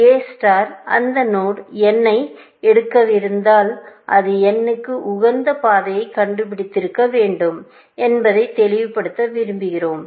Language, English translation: Tamil, We want to make this clean that if A star is about to pick that node n, it must have found that optimal path to n